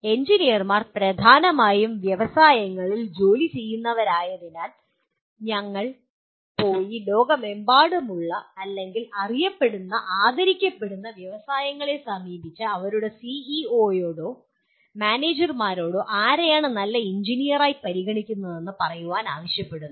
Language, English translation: Malayalam, It is generally because engineers dominantly are employed by industries and we go and consult really the top worldwide or well known respected industries and ask their CEO’s or their managers to say whom do they consider somebody as good engineer